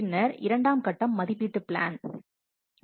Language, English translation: Tamil, Then second phase is evaluation plan